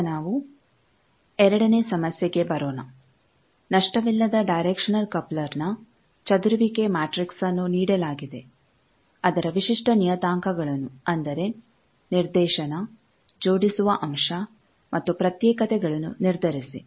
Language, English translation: Kannada, Now, let us come to the second problem; the scattering matrix of a lossless directional coupler is given, determine its characteristic parameters that is directivity coupling factor and isolation